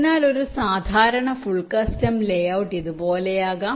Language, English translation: Malayalam, so a typical full custom layout can look like this